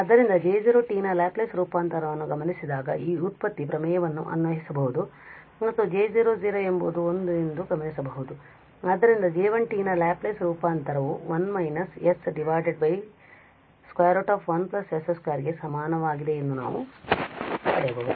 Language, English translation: Kannada, So, given the Laplace transform of J 0 t we can apply this derivative theorem and noting down that J 0 0 is 1 so we can get that the Laplace transform of J 1 t is equal to 1 minus s over s square plus 1 square root